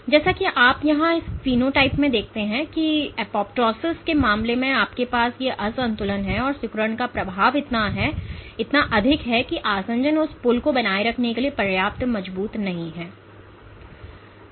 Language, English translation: Hindi, As you see in this phenotype here suggesting that in case of apoptosis you have these imbalance that the effect of contractility is so high, that adhesions are not enough as not strong enough to sustain that pull